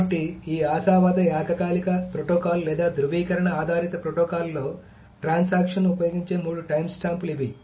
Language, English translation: Telugu, So, these are the three timestamps that the transaction uses in this optimistic concurrency protocol or the validation based protocol